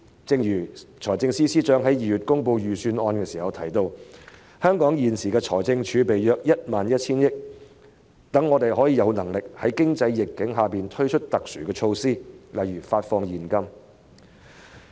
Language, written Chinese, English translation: Cantonese, 正如財政司司長在2月公布預算案時提到："香港現時的財政儲備約 11,000 億元，讓我們有能力在經濟逆境下推出特殊措施，例如發放現金。, As indicated by the Financial Secretary when delivering the Budget in February Our current fiscal reserves of about 1,100 billion enable us to roll out special measures amid the prevailing economic downturn such as paying out cash